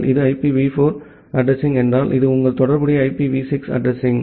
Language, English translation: Tamil, If this is the IPv4 address, this is your corresponding IPv6 address